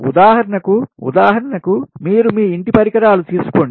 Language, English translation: Telugu, for example, you take the example of your home, right